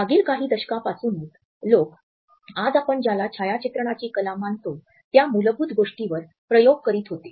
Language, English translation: Marathi, It was only in some preceding decades that people were experimenting with the basics of what we today consider as photography art